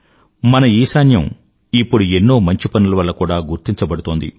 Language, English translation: Telugu, Now our Northeast is also known for all best deeds